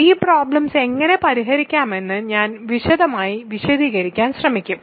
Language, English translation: Malayalam, I will try to explain in detail how to solve these problems